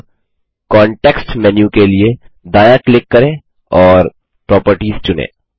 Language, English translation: Hindi, Now, right click for the context menu and select Properties